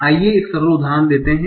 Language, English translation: Hindi, Let's take a simple example